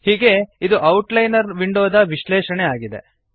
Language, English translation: Kannada, So this is the breakdown of the outliner window